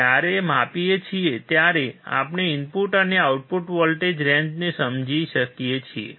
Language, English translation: Gujarati, When we measure, we can understand the input and output voltage range